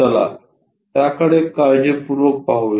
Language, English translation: Marathi, Let us carefully look at it